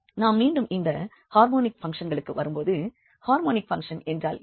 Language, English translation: Tamil, Coming back to these harmonic functions, what are the harmonic functions